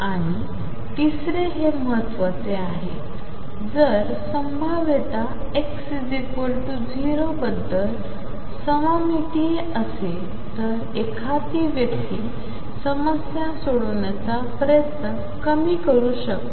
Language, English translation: Marathi, And third this is important if the potential is symmetric about x equals 0, one can reduce effort in solving the problem